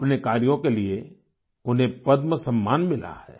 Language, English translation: Hindi, He has received the Padma award for his work